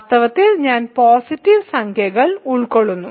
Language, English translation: Malayalam, In fact, then I contains positive integers